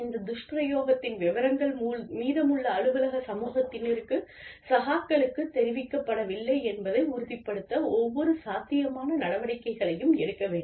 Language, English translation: Tamil, Then, we should take every possible measure to ensure, that the details of this misuse, are not communicated, to the rest of the office community, to the person's peers